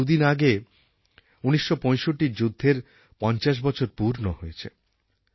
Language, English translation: Bengali, Two days back we completed the 50 years of the 1965 war